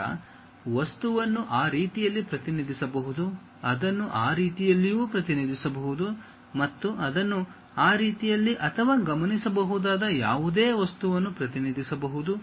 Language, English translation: Kannada, Then the object may be represented in that way, it might be represented even in that way and it can be represented in that way also or any other object which might be observed